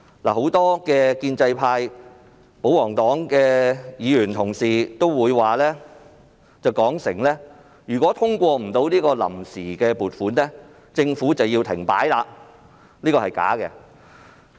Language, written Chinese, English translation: Cantonese, 很多建制派及保皇黨的議員同事聲言，如未能通過臨時撥款，政府便會停擺，但這是假的。, Many fellow Members from the pro - establishment camp and the royalist camp claimed that without the passage of the Vote on Account Resolution the Government would come to a standstill but this is not true